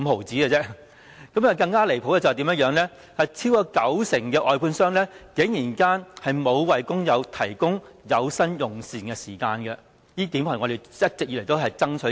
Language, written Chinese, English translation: Cantonese, 最離譜的是，超過九成外判商沒有為工友提供有薪用膳時間，而這是我們一直以來爭取的。, The most outrageous case was that more than 90 % of the contractors did not provide paid meal breaks to workers and paid meal breaks are what we have been fighting for